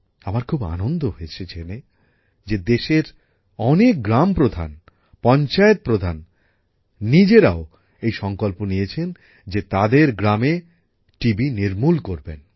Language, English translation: Bengali, I am happy that many sarpanchs of the country, even the village heads, have taken this initiative that they will spare no effort to uproot TB from their villages